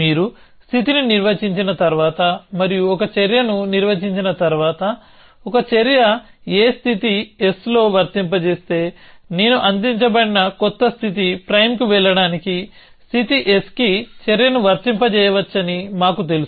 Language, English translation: Telugu, So, once you define a state and once you define an action, we know that if an action a is applicable in a state s, then I can apply action a to state s to go to a new state s prime, which is given